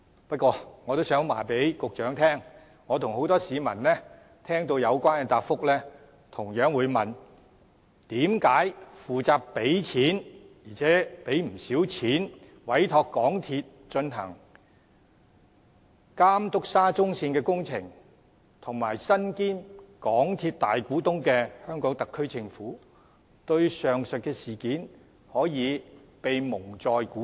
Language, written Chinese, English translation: Cantonese, 不過，我也想告訴局長，我和很多市民聽到有關的答覆後同樣會問，負責付錢——而且付的不少錢——委託港鐵公司監督沙中線工程及身兼港鐵公司大股東的香港特區政府，對上述的事件為甚麼可以被蒙在鼓裏？, However I would like to tell the Secretary after hearing his response many members of the public and I cannot help but query How can the SAR Government responsible for paying and commissioning MTRCL to monitor the SCL project and being the major shareholder of MTRCL be kept in the dark from the above mentioned incident?